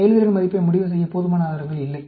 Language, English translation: Tamil, There is insufficient evidence to conclude the performance score